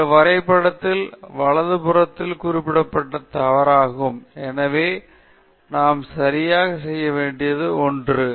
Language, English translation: Tamil, So, this is significantly wrong with this graph right; so, that something we need to correct